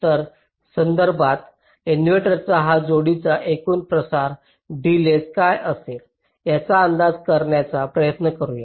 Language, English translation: Marathi, so with respect to this, let us try to estimate what will be the total propagation delay of this pair of inverters